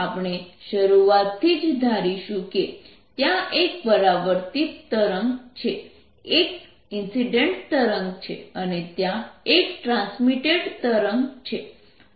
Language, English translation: Gujarati, we are going to assume right in the, the beginning there is a reflected wave, there is an incident wave and there is a transmitted wave